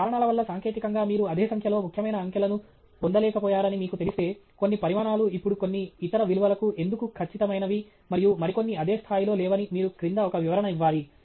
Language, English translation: Telugu, If for some reason, you know, technically you were unable to get it to the same number of significant digits, you should put an explanation below saying why some quantities are now precise to some other value and some others are not to the same degree of, you know, precision; so, that is something you would like to convey